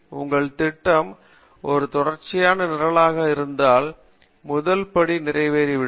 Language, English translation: Tamil, So if your program is a sequential program, namely first step gets executed